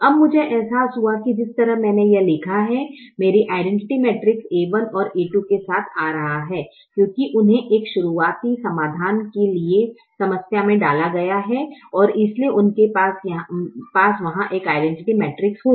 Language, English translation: Hindi, now i realize that the way i have written this, my identity matrix is coming with a one and a two because they have been inserted into the problem for a starting solution and therefore they will have an identity matrix there